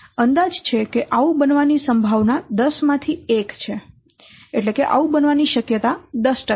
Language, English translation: Gujarati, It estimates that there is a one in 10 chances, I mean what 10% chances of happening this